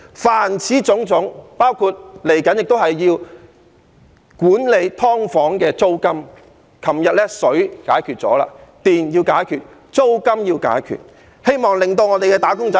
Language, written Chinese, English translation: Cantonese, 凡此種種，包括接下來亦要管制"劏房"的租金，我們昨天解決了水費的問題，電費要解決，租金亦要解決，希望令我們的"打工仔"......, Yesterday we resolved the problem with water charges . We must also resolve the problem with electricity charges and rents in the hope of enabling our wage earners to receive social